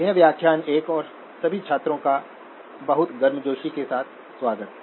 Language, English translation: Hindi, This is lecture 1 and a very warm welcome to all the students